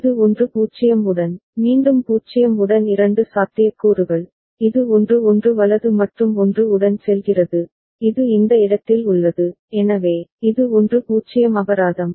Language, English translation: Tamil, With 1 0 this one, again two possibilities with 0, it goes to 1 1 right and with 1, it remains at this place, so, this is at 1 0 fine